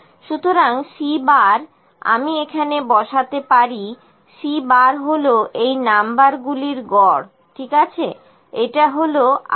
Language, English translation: Bengali, So, C bar I can put here, C bar this is equal to average of these numbers, ok, enter, it is 18